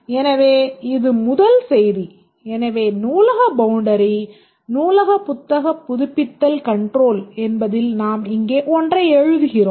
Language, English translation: Tamil, So, this is the first message and therefore library boundary library book renewal control